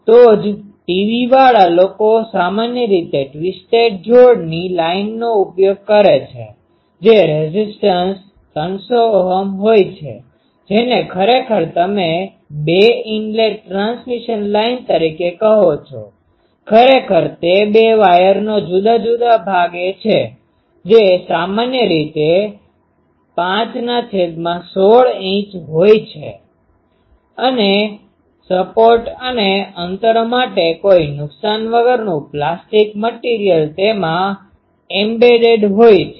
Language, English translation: Gujarati, That is why TV people they generally use a twisted pair line which impedance is 300 Ohm which actually they you call it two inlet transmission line; actually the separation of the two wires that is typically 5 by 16 inch and embedded in a no loss plastic material for support and spacing